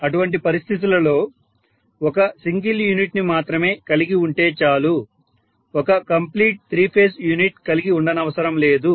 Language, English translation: Telugu, So in that case I can simply say only a single phase unit I do not have to save a complete three phase unit